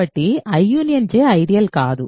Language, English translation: Telugu, So, I union J is not an ideal ok